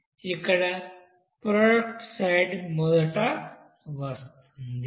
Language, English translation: Telugu, Here product side will come first